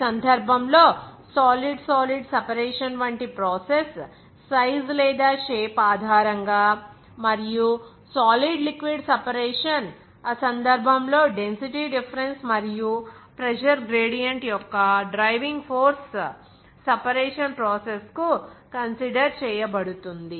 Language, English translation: Telugu, And that case, like solid solid separation the process, based on the size or shape of the solid and solid liquid separation in that case driving force of density difference and pressure gradient are consideration for the separation process